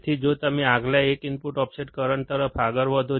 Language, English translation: Gujarati, So, if you move on to the next one, input offset current